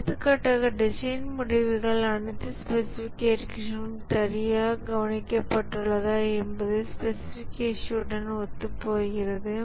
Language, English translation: Tamil, For example, if the design results are consistent with the specification, whether all specifications have been taken care properly